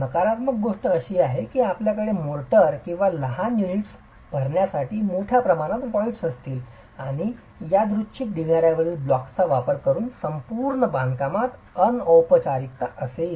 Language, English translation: Marathi, The downside would be that you would have large voids to be filled up with mortar or smaller units and there is an informality to the entire construction using random rubble blocks